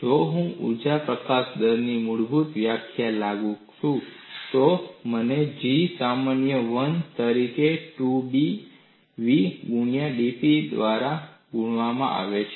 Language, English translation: Gujarati, If I apply the basic definition of energy release rate, I get the expression as G equal to minus 1 by 2B v times dP by da